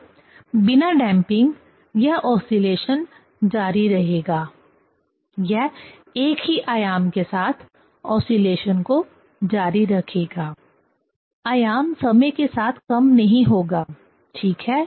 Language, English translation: Hindi, So, without damping, it will continue the oscillation, it will continue the oscillation with the same amplitude; the amplitude will not decrease with time, right